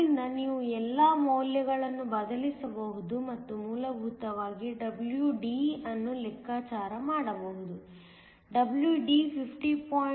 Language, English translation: Kannada, So, you can substitute all the values and essentially calculate WD; WD works out to be 50